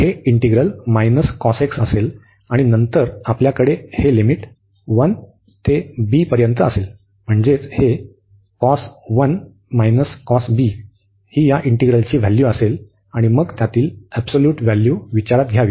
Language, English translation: Marathi, So, this integral will be the minus this cos x, and then we have this limit a to b, so which will b this cos 1 minus the cos b this integral value, and then the absolute value of of of these we have to consider